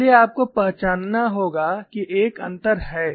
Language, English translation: Hindi, So, you have to recognize that, there is a difference